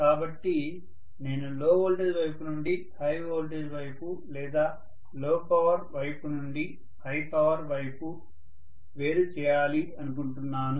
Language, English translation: Telugu, So I would like to isolate a high voltage side from a low voltage side or high power side from a low power side